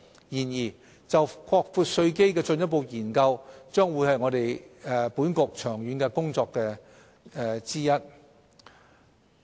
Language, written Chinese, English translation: Cantonese, 然而，就擴闊稅基的進一步研究將會是本局長遠的工作之一。, However it will be one of the long - term tasks of this Bureau to further study how to broaden the tax base